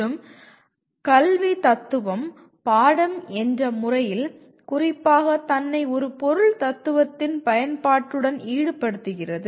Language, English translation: Tamil, And educational philosophy particularly which is a subject by itself involves with the application of formal philosophy to education